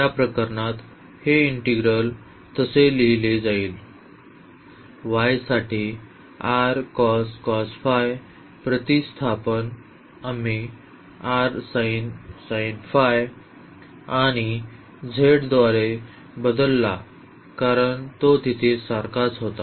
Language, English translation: Marathi, In that case this integral will be written as so, the direct substitution for x here r cos phi for y we have replaced by r sin phi and z because it was same there